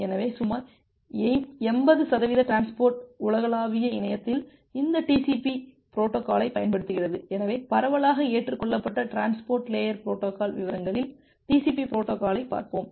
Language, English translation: Tamil, So, around 80 percent of the traffic over the global internet it uses this TCP protocols; so will look into the TCP protocol in details which is a widely accepted transport layer protocol